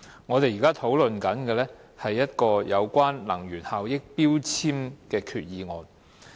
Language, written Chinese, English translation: Cantonese, 我們現在討論的是，一項有關能源標籤的決議案。, Our current discussion concerns a resolution on energy labels